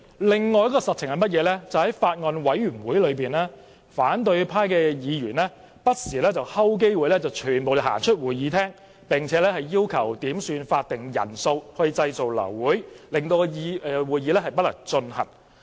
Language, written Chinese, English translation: Cantonese, 另一個實情是，在法案委員會的會議中，反對派議員不時伺機全體離開會議室，並要求點算法定人數製造流會，讓會議不能進行。, Moreover at meetings of the Bills Committee all opposition Members had time and again seized the chance to withdraw together from the meeting room and then requested a headcount hoping to abort the meeting for lack of a quorum